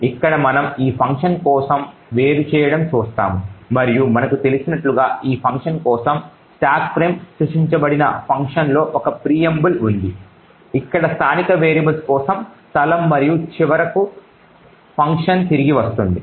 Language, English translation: Telugu, Over here we see the disassembly for this particular function and as we know there is a preamble in the function where the stack frame is created for this particular function, there are space for the local variables over here and finally the function returns